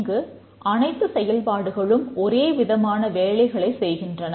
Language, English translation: Tamil, There are functions which are doing very different things